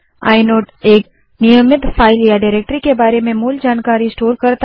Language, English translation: Hindi, Inode stores basic information about a regular file or a directory